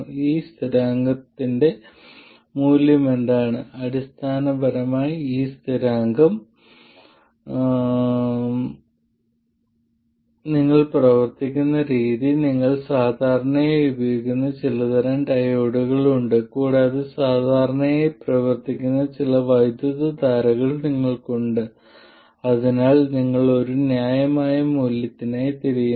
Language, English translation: Malayalam, Essentially the way you work out this constant value is you have certain types of diodes that you normally use and you have a certain range of currents that you normally operate at and for that you just look for a reasonable value